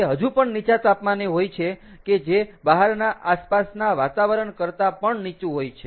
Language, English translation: Gujarati, it is even at a lower temperature, which is even lower than the outside ambient